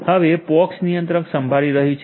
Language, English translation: Gujarati, Now, the POX controller is listening